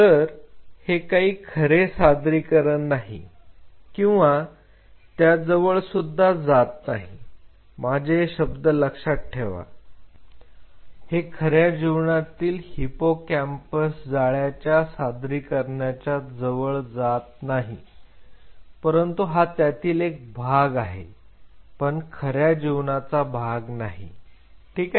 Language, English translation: Marathi, So, this is not the true representation this is not a closer representation to not mark my word, not a closer representation of a real life hippocampal network yes, it is part of it, but not close to the real life ok